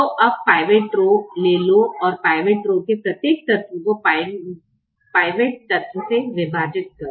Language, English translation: Hindi, so now take the pivot rho and divide every element of the pivot rho by the pivot element